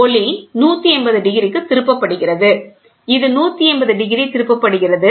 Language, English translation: Tamil, Light is turned on by 180 degrees, right